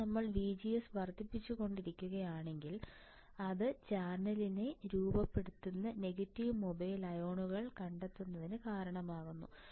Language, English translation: Malayalam, Now, later VGS if we increase, if we keep on increasing VGS it causes uncovering of negative mobile ions right which forms the channel